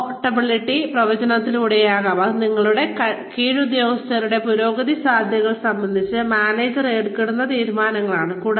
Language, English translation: Malayalam, Could be through promotability forecasts, which are decisions, made by managers, regarding the advancement potential of their subordinates